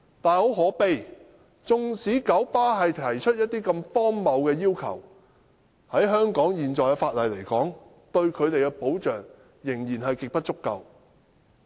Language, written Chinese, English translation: Cantonese, 但很可悲的是，即使九巴提出的要求如此荒謬，但香港現時的法例對他們的保障仍然極不足夠。, But sadly even though the request made by KMB is so absurd the protection for them provided by the existing legislation in Hong Kong is far from adequate